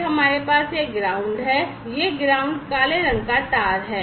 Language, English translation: Hindi, Then we have this ground this ground is the black colour wire, right